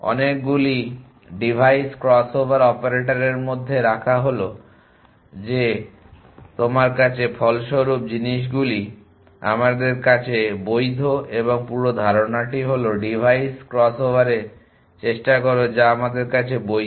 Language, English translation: Bengali, The keep into many device is crossover operators is see that the resultant things at you have are valid to us the and the whole idea is try in device cross over which are valid to us